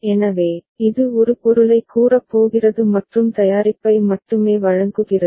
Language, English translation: Tamil, So, it is going to state a and delivering only the product